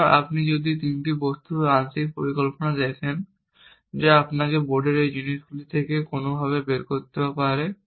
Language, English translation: Bengali, So, if you look at my partial plan of three objects which you have to somehow figure out from this stuff on the board, I have one action a 0